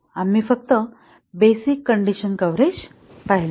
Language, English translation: Marathi, We just looked at the basic condition coverage